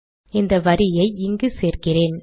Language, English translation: Tamil, So let me put this back here